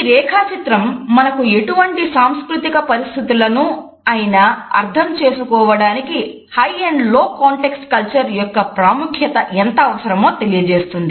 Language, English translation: Telugu, This diagram suggests how the significance of low and high context culture is important for us to understand in any intercultural situations